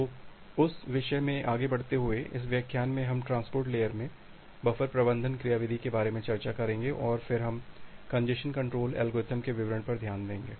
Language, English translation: Hindi, So, continuing from that point, in this lecture, we will discuss about the buffer management mechanism in the transport layer and then we will look into the details of the congestion control algorithms